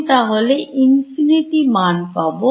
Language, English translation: Bengali, I will get infinity